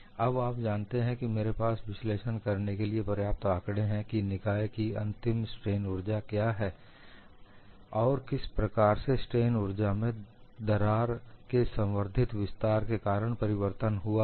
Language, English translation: Hindi, Now, I have sufficient data to analyze what is the final strain energy of the system and how the strain energy has changed because of an incremental extension of the crack